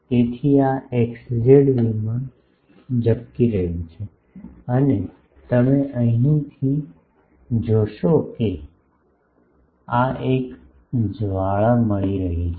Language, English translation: Gujarati, So, the this plane this xz plane is getting flared and you see from here it is getting a flare of this